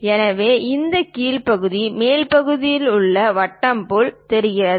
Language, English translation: Tamil, So, this bottom portion looks like a circle in the top view